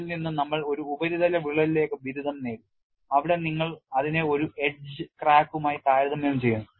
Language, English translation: Malayalam, From this, we have graduated to a surface crack, where in you compare it with an edge crack